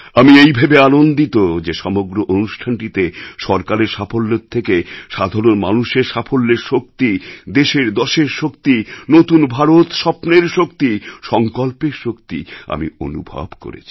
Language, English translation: Bengali, I am glad that in this entire programme I witnessed the accomplishments of the common man more than the achievements of the government, of the country's power, the power of New India's dreams, the power of the resolve of the new India this is what I experienced